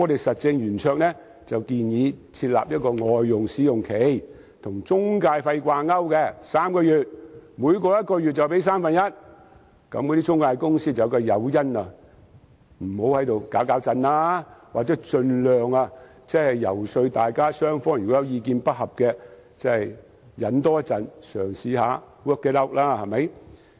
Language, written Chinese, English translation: Cantonese, 實政圓桌建議政府設立外傭試用期，與中介費掛鈎3個月，每超過1個月就支付三分之一費用，從而避免中介有誘因胡作非為，或盡量遊說意見不合的雙方多些忍耐及嘗試 work it out。, Roundtable has proposed that the Government set a probation period for foreign domestic helpers and link it with intermediary fees for three months which means that one third of the fees will be payable upon completion of one months service . This can avoid giving intermediaries an incentive to break the law or induce intermediaries to persuade both parties in disagreement by all means to be more patient and try to work it out